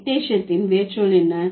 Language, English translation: Tamil, Dictation, what is the root word